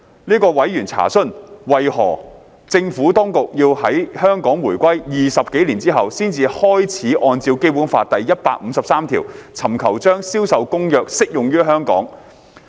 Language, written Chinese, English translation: Cantonese, 這位委員查詢，為何政府當局要在香港回歸20多年後才開始按照《基本法》第一百五十三條，尋求將《銷售公約》適用於香港。, This member enquired why the Administration only started to seek the application of CISG to Hong Kong under Article 153 of the Basic Law more than 20 years after the reunification